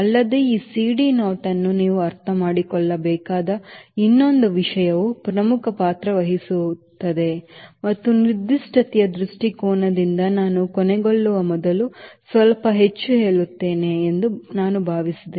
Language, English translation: Kannada, also, another thing you must understand this: c d naught plays important role and from a specification point of view, i thought i will tell you little more before i end